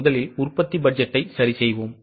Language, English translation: Tamil, So, first of all, let us make production budget